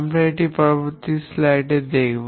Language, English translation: Bengali, We will look at this in the next slide